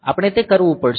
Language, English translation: Gujarati, So, what we have to do it